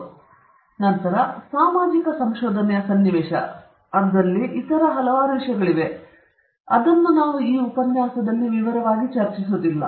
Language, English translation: Kannada, And then, in the context of social research there are several other issues, which we may not be discussing, in detail, in this lecture